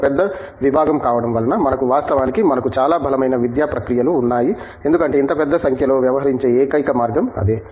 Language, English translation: Telugu, Being a big department, we actually have, we need to have and we do indeed have very robust academic processes because, that is the only way we can deal with such large numbers